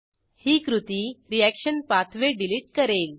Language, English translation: Marathi, This action will remove the reaction pathway